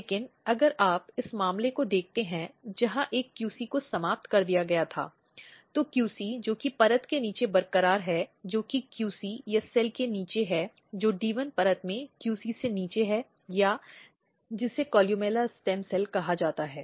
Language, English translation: Hindi, But if you look this case where one of the QC was depleted, the QC which is intact the layer which is below the QC or the cell which is below the QC in the D 1 layer or which is called columella stem cells